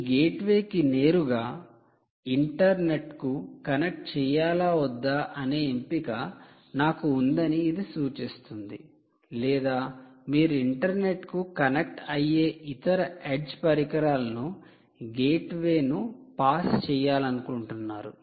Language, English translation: Telugu, it now clearly indicates that you have a choice: whether you want to connect this gateway directly out to the internet or you want to pass the gateway to another edge device which in turn connects to the internet